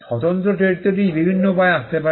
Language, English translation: Bengali, The distinctive character can come from different means